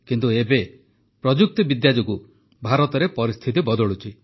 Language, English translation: Odia, But today due to technology the situation is changing in India